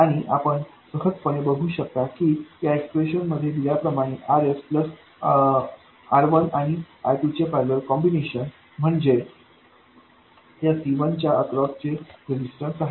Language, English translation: Marathi, And you simply see that RS plus R2 parallel R1, which you see in this expression is the resistance that appears across C1